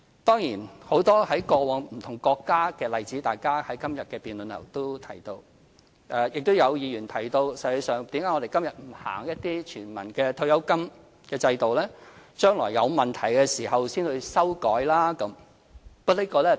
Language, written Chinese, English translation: Cantonese, 當然，大家在今天的辯論也提到很多過往在不同國家的例子；也有議員提到為何我們今天不實行一些全民的退休金制度，待將來有問題時才作修改？, True many Members have spoken about previous cases of many countries; some Members have queried why do we not implement an universal pension system first and amend it when problems arise later